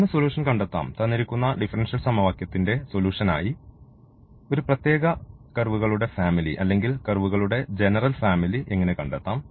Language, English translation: Malayalam, So, how to the find the solution; how to find the family of curves whether a particular family of curves or the general family of curves, of that will be as a solution of the given differential equation